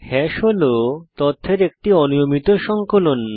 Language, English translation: Bengali, Note: Hash is an unordered collection of data